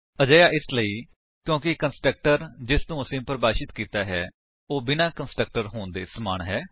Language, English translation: Punjabi, This is because the constructor that we defined is same as having no constructor